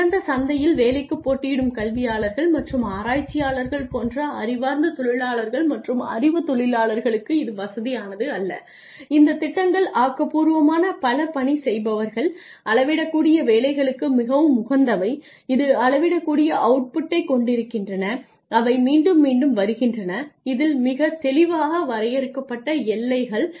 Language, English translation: Tamil, It is not comfortable for freelancers and knowledge workers like educators and researchers who compete for work in an open market and are creative multi taskers these jobs are these plans are more conducive for jobs that are measurable, that have measurable outputs that are you know that are repetitive, that are that have very clearly defined boundaries ok